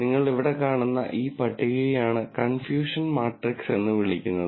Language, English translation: Malayalam, And this table that you see right here is what is called as the confusion matrix